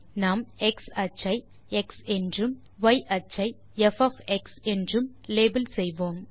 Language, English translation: Tamil, we shall label x axis to x and y axis to f